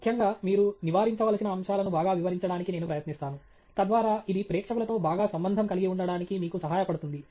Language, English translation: Telugu, In particular, I will try to highlight aspects that you should avoid, so that it helps you connect to the audience better